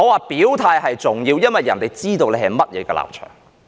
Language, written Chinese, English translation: Cantonese, 表態是重要的，因為別人要知道你的立場是甚麼。, It is important to express your stance because other people need to know what your stance is